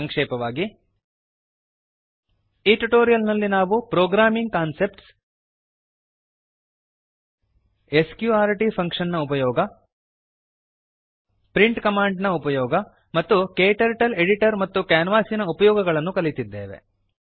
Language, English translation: Kannada, In this tutorial, we have learnt Programming concepts Use of sqrt function Use of print command Using KTurtle editor and canvas